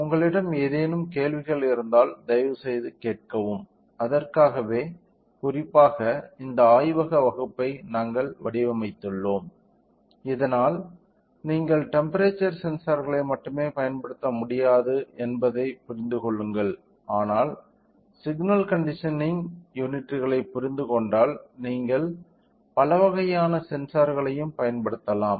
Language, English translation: Tamil, If you any questions feel free to ask and we have designed particularly this lab class, so that you can understand that you can not only use temperature sensor, but you can also use several other kind of sensors if you understand the signal conditioning units right